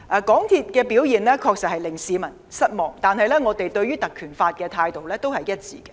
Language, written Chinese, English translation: Cantonese, 港鐵公司的表現確實令市民失望，但我們對於引用《條例》的立場是一致的。, The performance of MTRCL has truly disappointed people but our stance on invoking PP Ordinance is the same